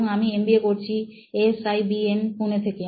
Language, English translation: Bengali, And I am pursuing my MBA from SIBM, Pune